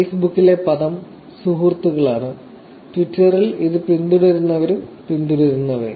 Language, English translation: Malayalam, The term here in Facebook, it is friends and Twitter, and it is followers and followings